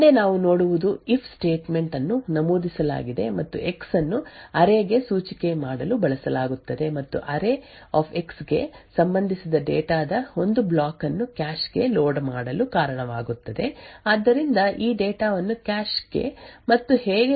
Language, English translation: Kannada, The next we see is that the if statement is entered an X is used to index into the array and cause one block of data Corresponding to array[x] to be loaded into cache so this data you can assume is loaded into cache and into a register which we denote as I